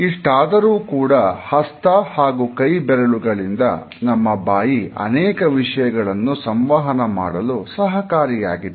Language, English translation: Kannada, However, we would find that even without hands and fingers our mouth communicates certain ideas